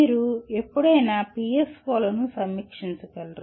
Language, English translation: Telugu, You will not be reviewing PSOs ever so often